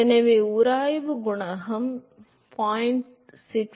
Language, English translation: Tamil, So, the friction coefficient will be 0